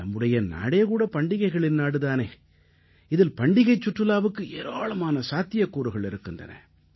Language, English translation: Tamil, Our India, the country of festivals, possesses limitless possibilities in the realm of festival tourism